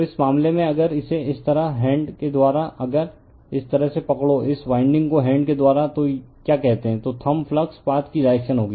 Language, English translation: Hindi, So, in this case if you make it like this by right hand, if you grab this way your what you call this winding by right hand, then thumb will be the direction of the flux path